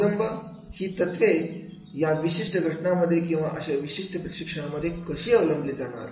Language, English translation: Marathi, Applications, how should these principles be applied in this particular case or in this particular training program